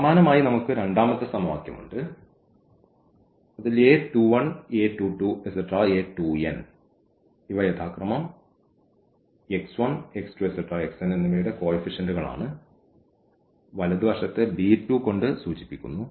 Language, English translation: Malayalam, So, similarly we have the second equation which we have denoted by a 2 1 2 2 and 2 n these are the coefficients of x 1 x 2 x n respectively and the right hand side is denoted by b 1